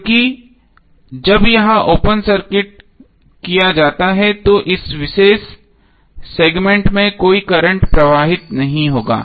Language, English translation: Hindi, Because when it is open circuited there would be no current flowing in this particular segment right